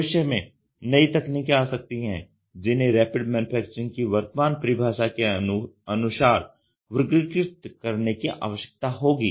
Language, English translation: Hindi, In the future as new additive technologies may become available they will need to be classified within the current structure of Rapid Manufacturing definition